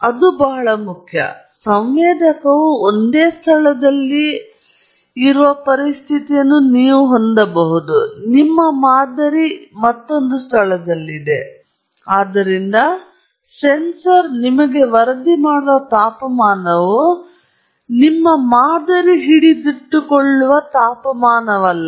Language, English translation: Kannada, That is very important; because you can have a situation where the sensor is located at one location, your sample is located at another location, and therefore, the temperature that the sensor is reporting to you is not that temperature at which your sample is sitting